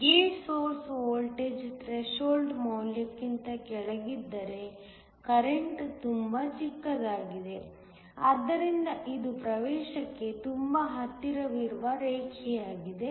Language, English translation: Kannada, If the gate source voltage is below the threshold value the current is very small, so this is the line that is very close to the access